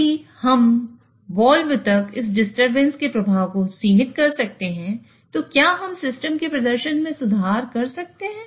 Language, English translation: Hindi, So if we can limit the effect of this disturbance up to the wall, then can we improve the performance of this system